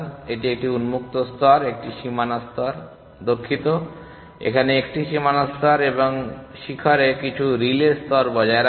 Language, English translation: Bengali, It maintains one open layer, one boundary layer, sorry one boundary layer here and some relay layer in the peak